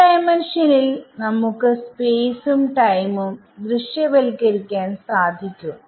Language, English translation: Malayalam, Now, we have seen in 2D it is possible to visualize space and time ok